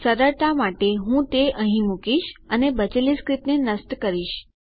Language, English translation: Gujarati, For simplicity I am just going to put it here and kill the rest of the script